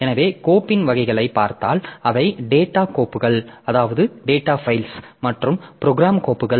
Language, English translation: Tamil, So, if you look into the types of the file they can they are data files and program files